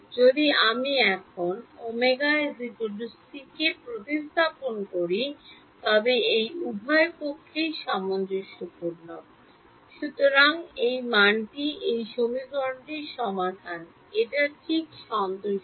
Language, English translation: Bengali, If I now substitute omega is equal to c k is it consistent in both sides; so, that value is the solution to this equation it is satisfying it right